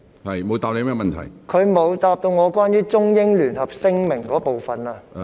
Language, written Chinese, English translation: Cantonese, 他沒有回答關於《中英聯合聲明》的部分。, He has not answered the part on the Joint Declaration